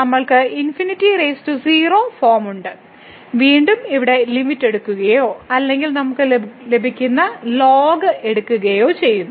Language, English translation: Malayalam, So, we have the infinity power 0 form and again taking the limit here or taking the logarithmic we will get is equal to 1 over and over